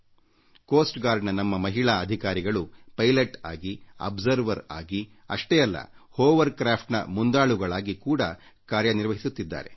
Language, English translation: Kannada, Our Coast Guard women officers are pilots, work as Observers, and not just that, they command Hovercrafts as well